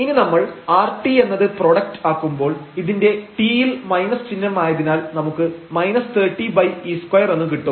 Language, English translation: Malayalam, So, rt when we make this product, so since the minus sign is there with the t we will get this minus thirty by e square